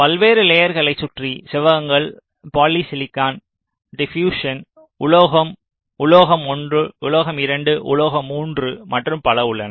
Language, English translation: Tamil, rectangles around various layers: polysilicon, diffusion, metal, metal one, metal two, metal three, and so on fine